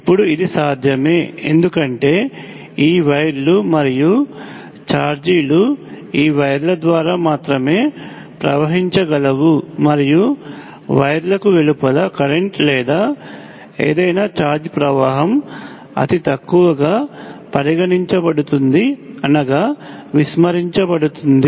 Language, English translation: Telugu, Now this is possible, because we can have this wires and charges flow only through this wires and the current or any charge flow outside the wires can be considered to be negligible